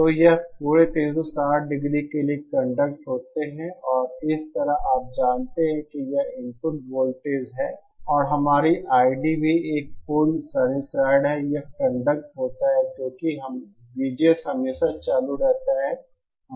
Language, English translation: Hindi, So it is conducting for entire the entire 360 degree and similarly you know this is the input voltage and our I D is also a perfect sinusoid, it conducts because VGS is always on